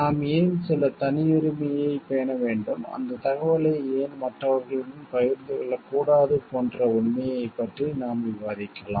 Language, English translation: Tamil, We may debate about the fact like why we what why we need to maintain some privacy, why the information should not be shared with others